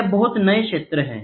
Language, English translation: Hindi, This is a very new field